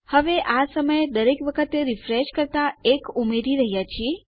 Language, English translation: Gujarati, Now this time, we are adding 1 each time we refresh